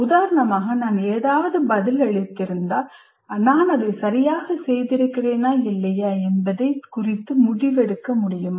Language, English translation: Tamil, For example, if I have responded to something, am I able to make a judgment whether I have done it correctly or not